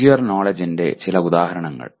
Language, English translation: Malayalam, Some examples of Procedural Knowledge